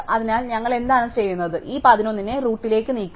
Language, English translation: Malayalam, So, what we will do is we will move this 11 to the root